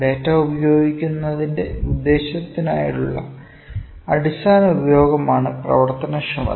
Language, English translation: Malayalam, Functionality is the basic or the fundamental use for what purpose is data being used